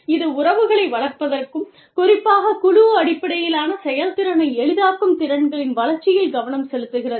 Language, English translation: Tamil, It focuses on, development of skills, that facilitate relationship building, and specifically, team based effectiveness